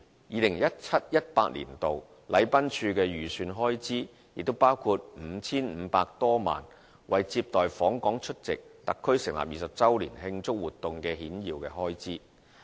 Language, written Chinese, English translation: Cantonese, 2017-2018 年度，禮賓處的預算開支包括 5,500 多萬元為接待訪港出席特區成立20周年慶祝活動的顯要開支。, In 2017 - 2018 the estimated expenditure of the Protocol Division includes over 55 million for receiving dignitaries who come to Hong Kong to attend the activities celebrating the 20 anniversary of the establishment of HKSAR